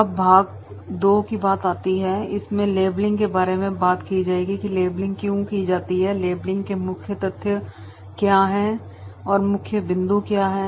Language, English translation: Hindi, Now the part 2, in this model we will be talking about the labelling, what are the facts in the labelling, the key points are what are the facts